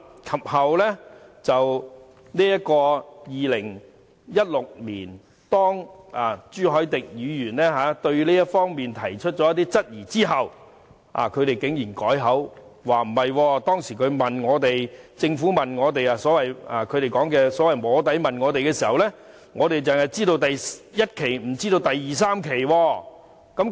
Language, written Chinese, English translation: Cantonese, 及後在2016年，當朱凱廸議員對這方面提出一些質疑後，他們竟然改口，說政府當時所謂"摸底"問他們時，只提及第1期計劃，他們並不知道有第2期和第3期計劃。, Later in 2016 when Mr CHU Hoi - dick raised some queries about the development they abruptly changed their stance and said that when the Government sought their views in the so - called soft lobbying session it only mentioned Phase 1 and they did not know the existence of Phases 2 and 3